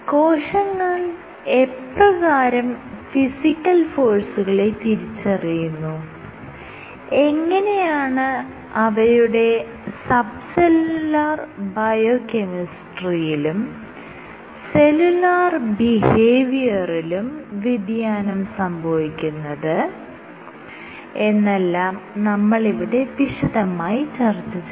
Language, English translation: Malayalam, So, I will discuss how physical forces are sensed by cells and how it alters sub cellular biochemistry, and whole cell behavior